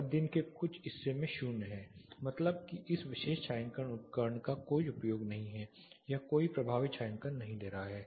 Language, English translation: Hindi, And some part of the day it is 0 that is there is no use of this particular shading device or it is not offering any effective shading